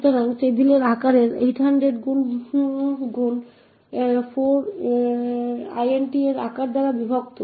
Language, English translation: Bengali, So size of table would be 800 times 4 divided by size of int